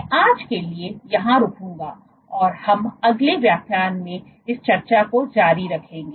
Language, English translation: Hindi, So, I will stop here for today and we will continue this discussion in the next lecture